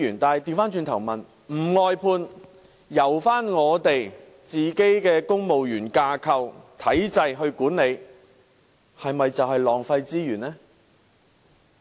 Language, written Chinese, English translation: Cantonese, 倒過來說，若不外判，而是在公務員架構內管理有關服務的話，是否就會浪費資源呢？, To put it in the other way round will there be wastage of resources if the relevant services are not outsourced and managed within the civil service structure?